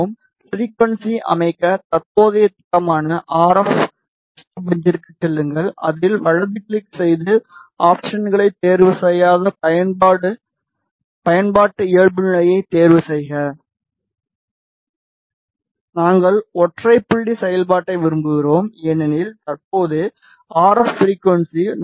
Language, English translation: Tamil, To set the frequency go to the current schematic which is RF match test bench, right click on it go to options uncheck use project defaults we want a single point operation because currently the RF frequency is 4